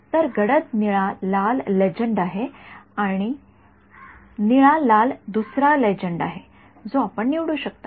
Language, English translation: Marathi, So, dark blue red is one legend blue red is another legend we can choose ok